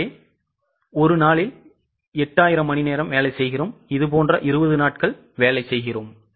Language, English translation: Tamil, So, in one day we work for 8,000 hours, such 20 days we work